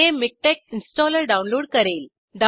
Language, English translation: Marathi, This will download the MikTeX installer